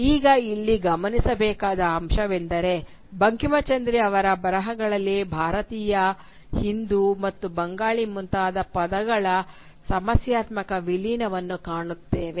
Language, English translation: Kannada, Now here it is important to note that in Bankimchandra’s writings we find a problematic merging of terms like Indian, Hindu, and Bengali